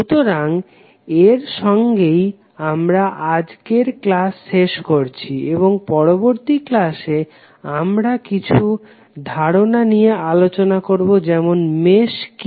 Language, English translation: Bengali, So with this we close our today’s session and in the next session we will discuss more about the other certain aspects like what is mesh